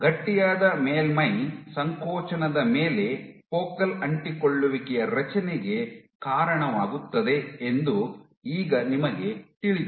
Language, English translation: Kannada, Now you know that on a stiffer surface contractility leads to focal adhesion formation